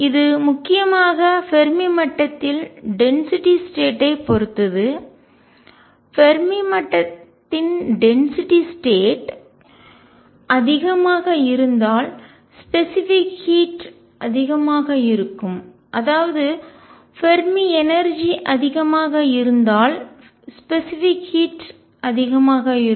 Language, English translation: Tamil, And it depends crucially on density of states at the Fermi level, larger the density states of the Fermi level more the specific heat; that means, larger the Fermi energy more the specific heat